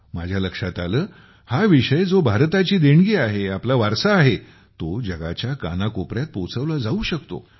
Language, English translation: Marathi, I understood that this subject, which is a gift of India, which is our heritage, can be taken to every corner of the world